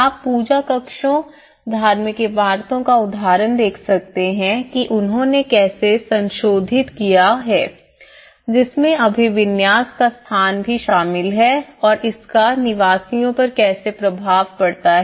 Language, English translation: Hindi, You can see the example of the puja rooms, the religious buildings how they have modified those, including the location of the orientation and how it has an impact on the inhabitants